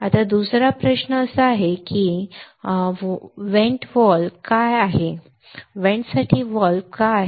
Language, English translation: Marathi, Now another question is why there is a vent valve why there is a valve for the vent